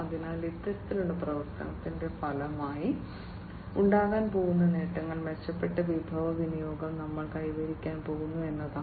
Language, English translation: Malayalam, So, the benefits that are going to be resulting from this kind of transitioning is that we are going to have improved resource utilization